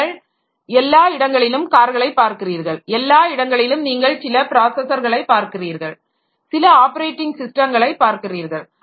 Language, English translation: Tamil, So, everywhere you see or car, so everywhere you see some processor is there and some operating system is there